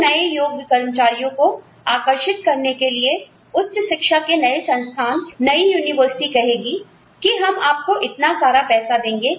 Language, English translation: Hindi, So, in order to attract, newer, qualified employees, new institutes of higher education, new universities, will say, oh, we will give you, so much money, so much salary, so many benefits